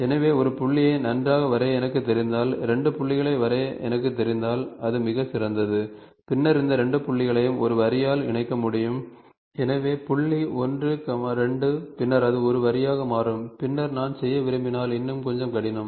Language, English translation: Tamil, So, if I know to draw a point good, if I know to draw 2 points it is excellent, then I can joint these 2 points by a line, so point 1, 2 then it becomes a line, then if I want to make a little more difficult